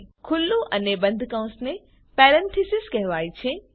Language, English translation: Gujarati, The opening and the closing bracket is called as Parenthesis